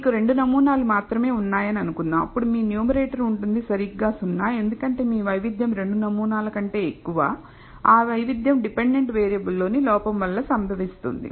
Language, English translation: Telugu, Suppose, you had only two samples then your numerator would be exactly 0, because you are more than two samples your variability and that variability is caused by the error in the dependent variable